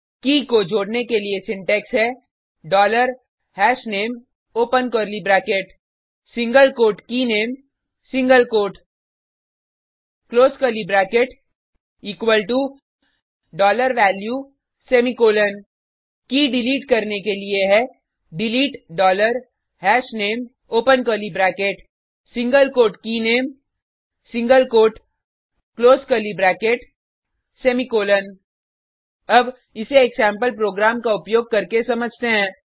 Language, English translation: Hindi, adding key is dollar hashName open curly bracket single quote KeyName single quote close curly bracket equal to $value semicolon deleting key is delete dollar hashName open curly bracket single quote KeyName single quote close curly bracket semicolon Now, let us understand this using a sample program